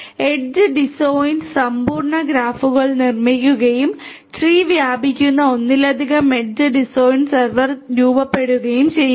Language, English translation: Malayalam, Constructs edge disjoint complete graphs and forms multiple edge disjoint server spanning tree